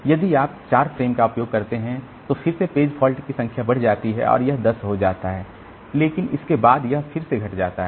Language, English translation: Hindi, If you use 4 frames then again number of page faults it goes up, it becomes 10